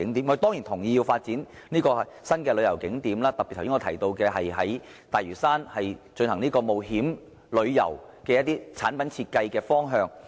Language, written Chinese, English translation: Cantonese, 我們當然同意要發展新的旅遊景點，我剛才特別提到在大嶼山進行冒險旅遊的產品設計方向。, We certainly agree to the development of new tourist attractions as I have specifically referred to the direction of developing adventure tourism products in Lantau